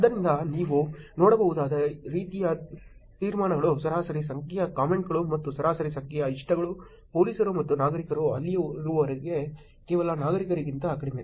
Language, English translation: Kannada, So the kind of conclusions you can see is average number of comments and average number of likes when police and citizens are there is actually lower than only a citizens being there